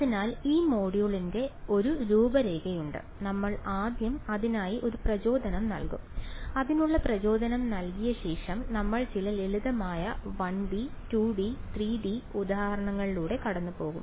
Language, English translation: Malayalam, So, there is a sort of outline of this module, we will first of all give a motivation for it and after giving you the motivation for it we will run through some simple 1D, 2D and 3D examples ok